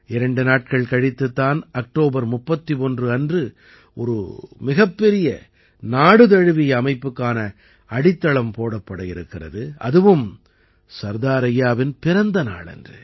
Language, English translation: Tamil, Just two days later, on the 31st of October, the foundation of a very big nationwide organization is being laid and that too on the birth anniversary of Sardar Sahib